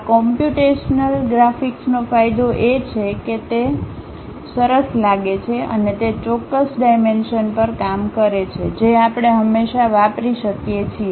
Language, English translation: Gujarati, The advantage of these computational graphics is they look nice and over that precise dimensions we can always use